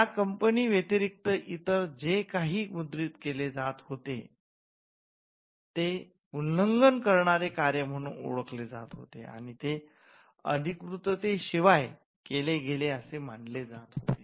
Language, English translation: Marathi, So, anything that was printed other than by this company would be regarded as an infringing work or that will be regarded as something that was done without authorisation